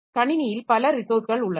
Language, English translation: Tamil, So, there are several resources in the system